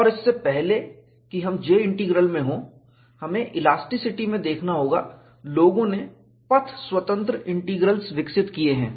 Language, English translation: Hindi, And, before we get into J Integral, we have to look at, in elasticity, people have developed path independent integrals